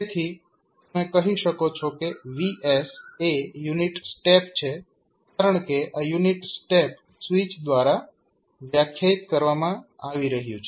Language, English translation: Gujarati, So, you can simply say that vs is nothing but the unit step because this unit step is being defined by the switch